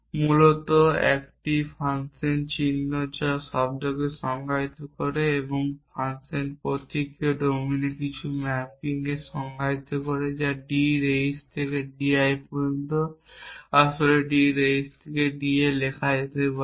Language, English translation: Bengali, Basically a function symbol defines a term a function symbol also defines some mapping in the domine which is from D raise to D I could have written here actually D raise in to D it is a mapping from D raise in to D